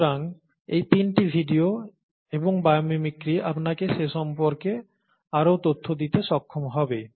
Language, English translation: Bengali, So these three, videos and bio mimicry would be able to give you more information on that